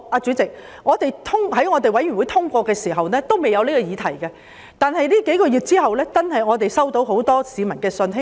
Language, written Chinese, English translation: Cantonese, 主席，法案委員會通過《條例草案》時，還未有這個議題，但這數個月期間，我們接獲很多市民的信件。, Chairman when the Bills Committee passed the Bill such incident had not happened but over the past few months we have received a lot of letters from the public